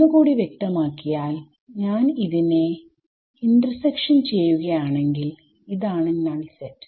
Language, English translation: Malayalam, So, I mean if you want be very particular if I do the intersection of this, this is the null set ok